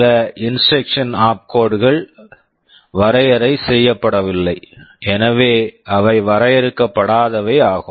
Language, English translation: Tamil, Well some instruction opcodes have not been defined, so they are undefined